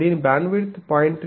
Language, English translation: Telugu, Its bandwidth it is 0